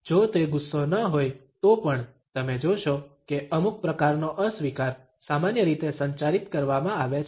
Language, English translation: Gujarati, Even if it is not an anger, you would find that some type of disapproval is normally communicated